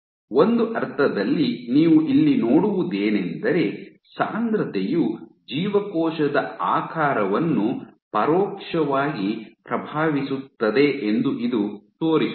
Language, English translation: Kannada, So, in a sense what you see here what this shows you is that density indirectly influences cell shape